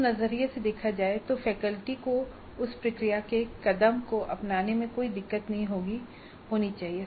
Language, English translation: Hindi, Looked it from that perspective, faculty should have no problem in adopting that process step